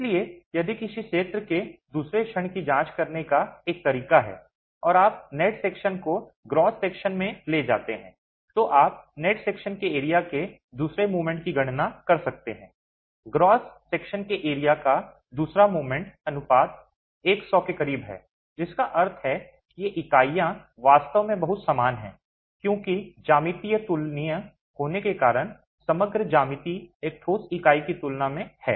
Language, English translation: Hindi, So, if one way to examine the second moment of area and you take the net section to the gross section, you can calculate the second moment of the net section, the second momentary of the gross section, the ratio is close to 100 which means these units really behave very similar because of the geometry being comparable, overall geometry being comparable to a solid unit